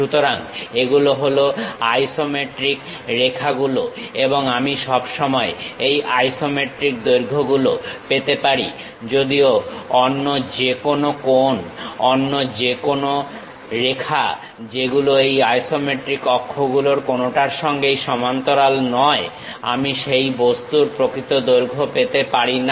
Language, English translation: Bengali, So, these are isometric lines and I can always find this isometric lengths; whereas, any other angle, any other line which is not parallel to any of this isometric axis I can not really get true length of that object